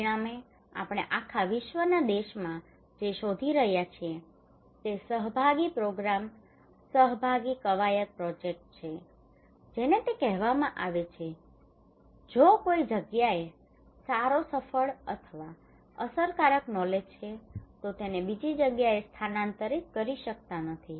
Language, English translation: Gujarati, As a result what we are finding across regions across nations across globe that participatory programs participatory exercises projects that is if it is called in somewhere good successful or effective we are not able to transfer these knowledge into another place